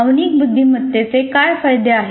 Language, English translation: Marathi, And what are the benefits of emotional intelligence